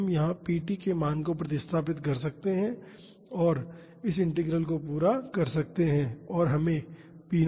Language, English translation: Hindi, So, we can substitute the value of p t here and can carry out this integral and we would get p naught by 2